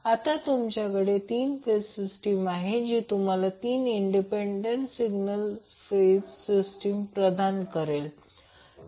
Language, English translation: Marathi, So, now, you will have 3 phase system which will give you also 3 independent single phase systems